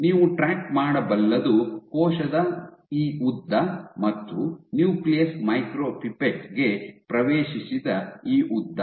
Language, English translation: Kannada, So, what you can track is this length of the cell and this length that the nucleus has entered into the micropipette